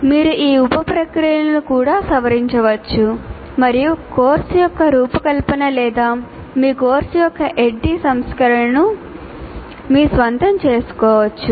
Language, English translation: Telugu, You can also modify the sub processes and make the design of the course or the addy version of your course your own